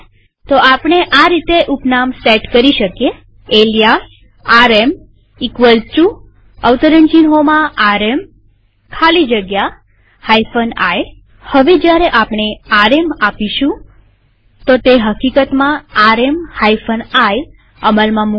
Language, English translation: Gujarati, So we may set an alias like, alias rm equal to, now within quotes rm space hyphen i Now when we run rm , rm hyphen iwill actually be run